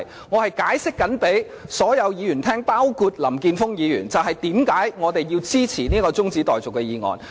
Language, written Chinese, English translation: Cantonese, 我正在向所有議員，包括林健鋒議員，解釋為何我們要支持此項中止待續議案。, I am now explaining to all the Members including Mr Jeffrey LAM why we should support this adjournment motion